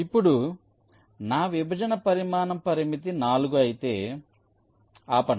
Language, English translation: Telugu, so now if my partition size constraint is four, let say stop here